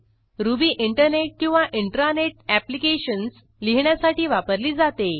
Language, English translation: Marathi, Ruby is used for developing Internet and Intra net applications